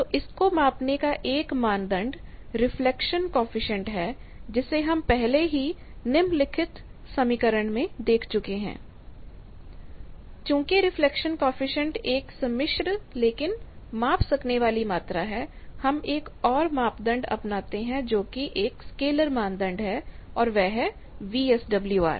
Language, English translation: Hindi, So, one criteria one parameter for measuring that is reflection coefficient which we have seen reflection coefficient is z 2 or Z L minus z naught by Z L plus z naught, but another criteria, that a scalar criteria from reflection coefficient then reflection coefficient is a complex quantity, but a measurable quantity, scalar quantity from this is VSWR